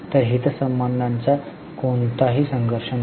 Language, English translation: Marathi, There are natural conflicts of interest